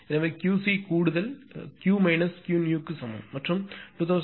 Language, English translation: Tamil, Therefore, Q c add is equal to Q is equal to 2556